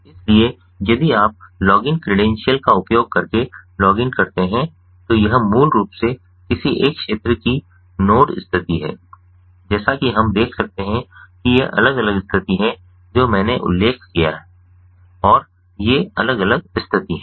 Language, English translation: Hindi, so if you login using the login credentials, so this is basically the node status from one of the fields ah, as we can see, these are the different status that i had mentioned and these are the different status that i had mentioned ah